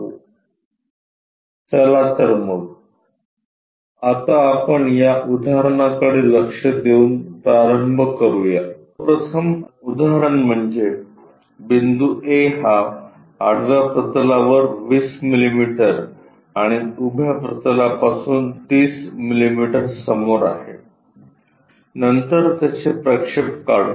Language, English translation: Marathi, Let us begin by looking through an example the first example is a point A is 20 millimetres above horizontal plane and 30 millimetres in front of vertical plane, then draw its projections